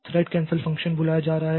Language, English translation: Hindi, So, these are the thread cancel function